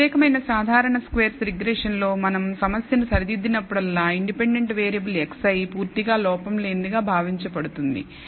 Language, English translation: Telugu, So, in this particular ordinary least squares regression that we are going to deal with we will assume whenever we set up the problem x i the independent variable is assumed to be completely error free